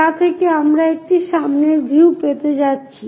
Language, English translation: Bengali, So, that is what we are going to get as front view